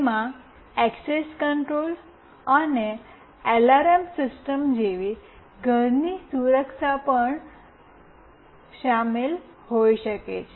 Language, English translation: Gujarati, It can also involve home security like access control and alarm system as well